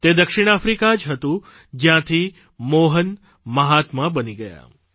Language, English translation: Gujarati, It was South Africa, where Mohan transformed into the 'Mahatma'